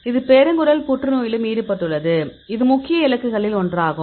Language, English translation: Tamil, So, here this is also involved in the colorectal cancer; so it is one of the major targets